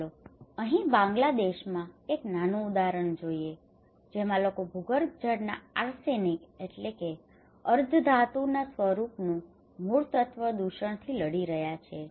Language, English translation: Gujarati, Let us look a small example here in Bangladesh; people are battling with arsenic, arsenic contamination of groundwater